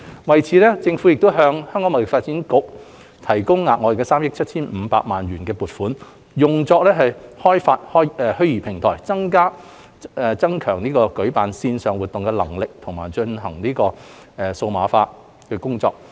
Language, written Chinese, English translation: Cantonese, 為此，政府已向香港貿易發展局提供額外3億 7,500 萬元的撥款，用作開發虛擬平台，增強舉辦線上活動的能力及進行數碼化。, To this end the Government has provided the Hong Kong Trade Development Council HKTDC with an additional subvention of 375 million for developing virtual platforms to enhance its ability to organize online events and for digitalization